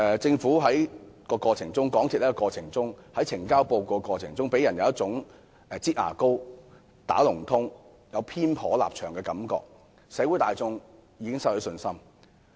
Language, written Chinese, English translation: Cantonese, 政府和港鐵公司在呈交報告的過程中，予人有一種"擠牙膏"、"打龍通"和立場偏頗的感覺，社會大眾已對他們失去信心。, In the process of report submission the Government and MTRCL have given people an impression that they were squeezing toothpaste out of the tube acting in collusion and being biased . The general public have thus lost confidence in them